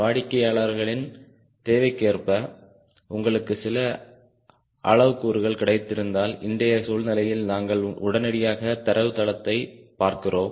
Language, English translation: Tamil, if you have got few parameters as customers requirement, then todays scenario: we immediately see the database